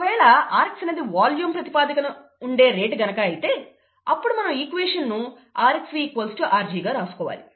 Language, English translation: Telugu, If rx is the rate on a volume basis, which it usually is, then, we need to write rxV equals rg